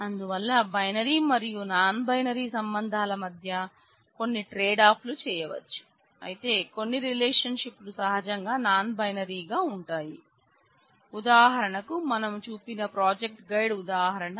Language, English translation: Telugu, So, there are certain tradeoffs which can be done between the choice of binary and non binary relationships, but; obviously, there are certain relationships which are inherently non binary for example, the project guide example we have seen